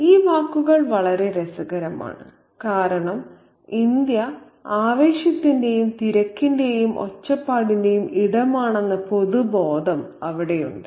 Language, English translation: Malayalam, These words are very, very interesting because there is a general sense that India is a place of excitement, bustle and hurry